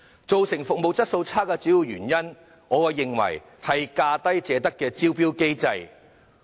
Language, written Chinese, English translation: Cantonese, 造成服務質素差劣的主要原因，我認為是"價低者得"的招標機制。, The main cause of the poor service quality in my opinion is the tendering mechanism under which the lowest bid wins